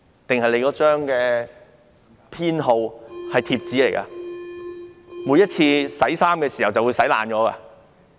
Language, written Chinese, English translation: Cantonese, 還是那張編號是貼紙呢？每次洗衣服的時候便會洗爛嗎？, Was the identification number printed on stickers that get destroyed in the wash every time?